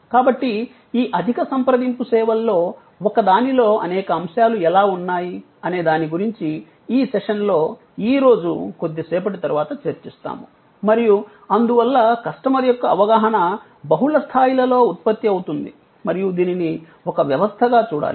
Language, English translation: Telugu, So, we will discuss it today itself in this session a little later, that how there are number of elements involved in one of these high contact services and therefore, the customers perception gets generated at multiple levels and so one has to look at it as a system